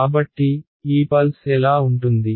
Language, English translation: Telugu, So, what is this pulse look like